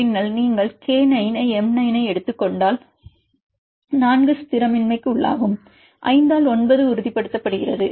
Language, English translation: Tamil, For example, take K to M out of 9, then if you take K to M 9, 4 are destabilizing and 5 by 9 are stabilizing